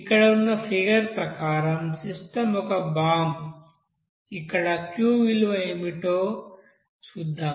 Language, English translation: Telugu, So as par the figure here the you know system is bomb here and Q let us see what will be that Q value